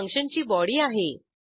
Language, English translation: Marathi, This is the body of the function